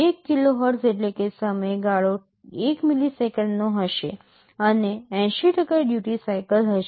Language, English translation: Gujarati, 1 KHz means the time period will be 1 milliseconds, and 80% will be the duty cycle